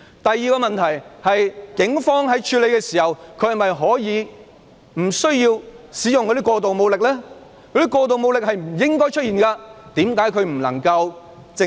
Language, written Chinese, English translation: Cantonese, 第二個問題是，警方在處理過程中不需要使用過度武力，過度的武力是不應出現的。, Another problem is that it was unnecessary for the Police to use excessive force in the process . The use of excessive force should not have happened